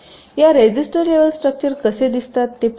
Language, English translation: Marathi, let see how this register level to structures look like